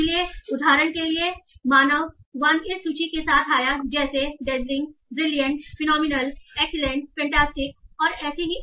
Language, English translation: Hindi, So for example, so, the human one came up with this list like dachling, brilliant, phenomenal, excellent, fantastic and so on